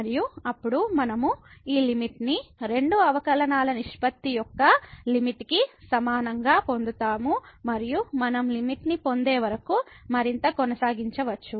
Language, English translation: Telugu, And, then we will get this limit is equal to the limit of the ratio of the second derivatives and so on we can continue further till we get the limit